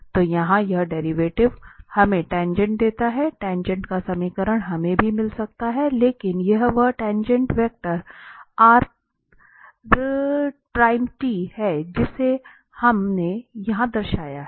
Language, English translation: Hindi, So, this derivative here is exactly gives us the tangent, the equation of the tangent we can also get, but this is the tangent vector r prime t which we have denoted here